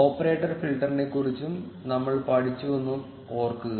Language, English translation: Malayalam, Remember that we also learned about the operator filter